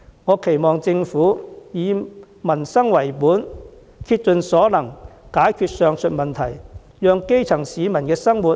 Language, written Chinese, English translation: Cantonese, 我期望政府以民生為本，竭盡所能解決上述問題，讓基層市民的生活得以改善。, I hope the Government will give priority to peoples livelihood exerting its best to resolve the aforementioned problems so that the livelihood of the grass roots can be improved